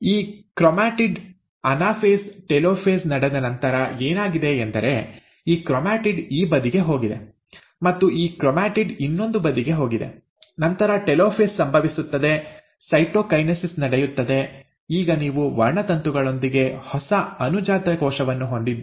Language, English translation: Kannada, So this chromatid, so what has happened after the anaphase has taken place, after the telophase has taken place; this chromatid has gone onto this side, and this chromatid has gone onto the other side, and then the telophase happens, cytokinesis takes place, and now you have the new daughter cell with the chromosomes